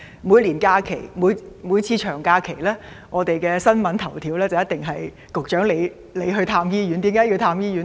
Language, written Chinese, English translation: Cantonese, 每逢長假期，新聞的頭條報道一定是局長你往訪各大醫院，為何要如此？, As we can all see the Secretarys visits to different hospitals always get headline coverage in local media during long holidays and why is that so?